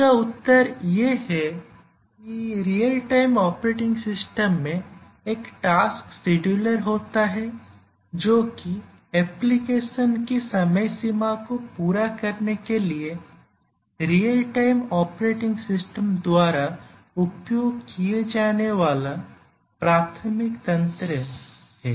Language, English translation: Hindi, The answer is that the real time operating systems have a tasks scheduler and it is the tasks scheduler which is the primary mechanism used by the real time operating systems to meet the application deadlines